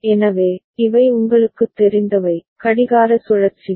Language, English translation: Tamil, So, these are the you know, clock cycles